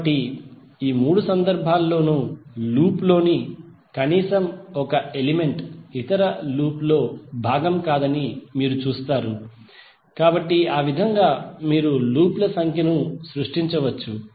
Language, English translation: Telugu, So in all the three cases you will see that at least one element in the loop is not part of other loop, So in that way you can create the number of loops